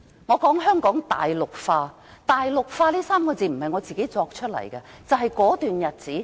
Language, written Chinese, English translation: Cantonese, 我說香港大陸化，"大陸化"這3個字不是我自己虛構出來的。, I said Hong Kong is being Mainlandized . Mainlandization is not my fabrication